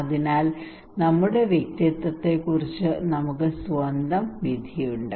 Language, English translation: Malayalam, So we have our own judgment about our personality okay